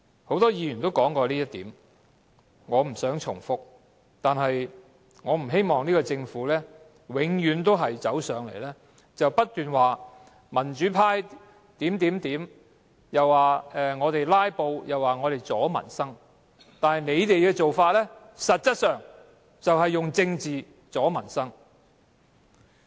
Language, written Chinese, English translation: Cantonese, 很多議員也提及這點，我不想重複；但我不希望現屆政府永遠來到立法會便說民主派這樣那樣，又說我們"拉布"，又說我們阻礙民生，但他們的做法實際上卻是以政治阻礙民生。, Many Members have mentioned this point and I do not wish to make any repetition but it is not my wish to see the current - term Government invariably taking the pro - democracy camp to task for this and for that whenever they come to the Legislative Council accusing us of filibustering and impeding initiatives related to peoples livelihood but what they have done is actually using politics to impede the peoples livelihood